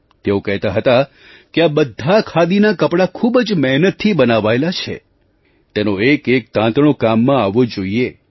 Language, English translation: Gujarati, He used to say that all these Khadi clothes have been woven after putting in a hard labour, every thread of these clothes must be utilized